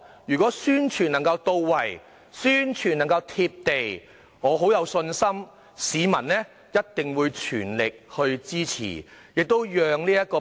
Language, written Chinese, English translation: Cantonese, 如果宣傳能夠到位和"貼地"，我有信心市民一定會全力支持。, I am confident that the public will fully support a policy if publicity efforts are in place and down - to - earth